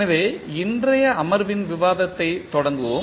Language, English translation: Tamil, So, let us start the discussing of today’s session